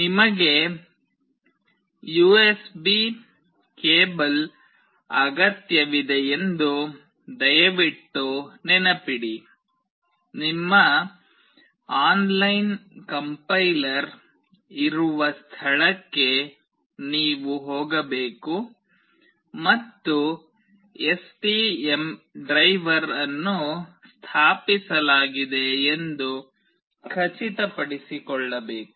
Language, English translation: Kannada, Please remember that you need the USB cable, you need to go here where you will have your online complier and you have to also make sure that the STM driver is installed